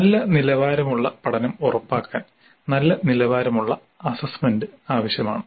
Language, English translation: Malayalam, A good quality assessment is essential to ensure good quality learning